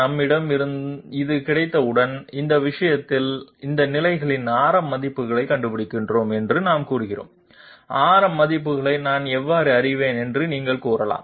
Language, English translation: Tamil, Once we have this, we say that in that case we find out the radius values at these positions, you might say how do I know radius values